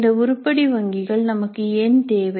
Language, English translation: Tamil, Now why do we need these item banks